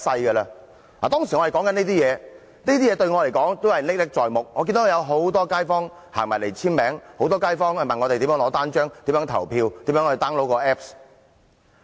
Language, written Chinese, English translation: Cantonese, 我們當時說的話、做的事，對我來說都仍歷歷在目，我記得有很多街坊走來簽署，很多街坊向我們索取單張，詢問如何投票和 download apps。, I still vividly remember the things that we have said and done at that time . I remember many members of the public came to us and signed up to show support . They took our leaflets and asked us how to vote or download the apps